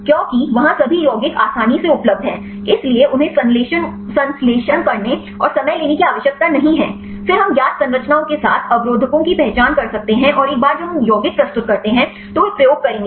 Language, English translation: Hindi, Because there all the compounds readily available, so do not have to synthesis and take time, then we can identify the inhibitors with known structures and once we submitted the compound then they will do experiments